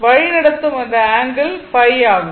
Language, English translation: Tamil, So, angle should be phi